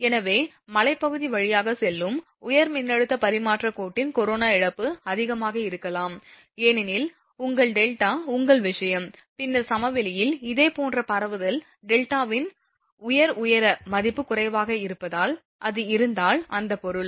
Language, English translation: Tamil, So, that is corona loss of a high voltage transmission line passing through a hilly area may be higher because your delta your this thing, then that of similar transmission in plains due to the lower value of the delta at high altitude, so if that is the thing